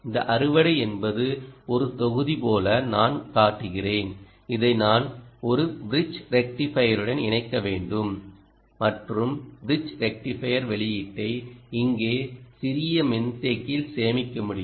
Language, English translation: Tamil, ok, this harvester is a, essentially i will represented like a block and i will have to connect it to a bridge rectifier, bridge rectifier, ah, and output can be stored in a small capacitor here